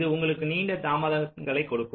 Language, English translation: Tamil, it will give you longer delays